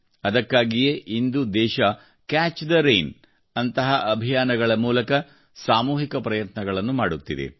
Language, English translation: Kannada, That is why today the country is making collective efforts through campaigns like 'Catch the Rain'